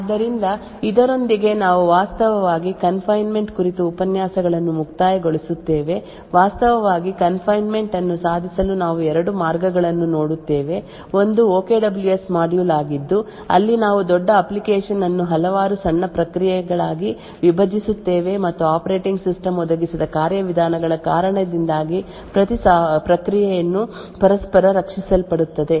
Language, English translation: Kannada, So with this we actually conclude the lectures on confinement, we see two ways to actually achieve confinement, one is the OKWS module where we split a large application into several small processes and each process by the virtue of the mechanisms provided by the operating system will be protected from each other